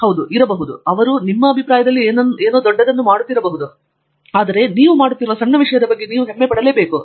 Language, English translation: Kannada, Yes, they might be doing something great in your opinion, but you have to be also proud of the small thing you are doing